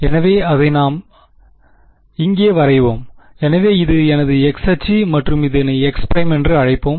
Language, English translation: Tamil, So, let us say is plot it over here right, so this is my x axis and let us say this is x prime, this is my 0